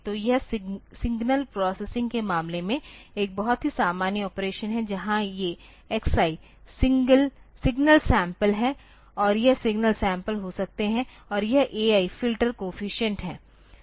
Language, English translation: Hindi, So, this is a very common operation in case of signal processing where these x i s are the signal samples this may be signal samples and this a i is are the filter coefficients